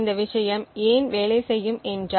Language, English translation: Tamil, So why would this thing work